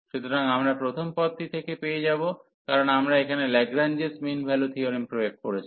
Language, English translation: Bengali, So, we will get from the first term, because we have applied the Lagrange mean value theorem here